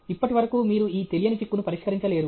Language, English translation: Telugu, So far, you are not able to solve this unknown rider